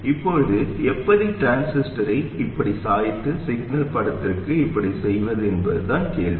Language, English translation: Tamil, Now the question is how do we bias the transistor like this and make it look like this for the signal picture